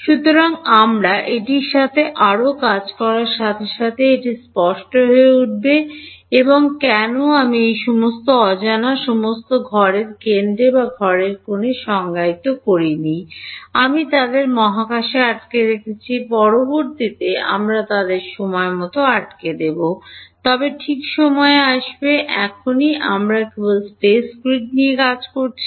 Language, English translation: Bengali, So, it will as we work more with this it will become clear why I did not define all of these unknowns all at the centre of the cell or all at the corner of the cell; I have staggered them out in space, later on we will also stagger them in time, but will come to time first right now we are just dealing with the space grid